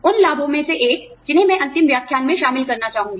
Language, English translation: Hindi, One of the benefits that, I would have liked to cover, in the last lecture